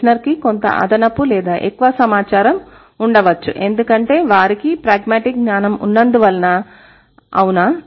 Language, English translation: Telugu, The hearer might have some additional or some extra information because of the pragmatic knowledge that they have, right